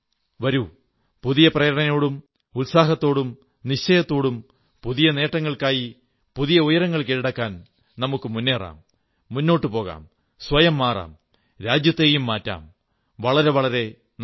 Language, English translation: Malayalam, Come, imbued with renewed inspiration, renewed zeal, renewed resolution, new accomplishments, loftier goals let's move on, keep moving, change oneself and change the country too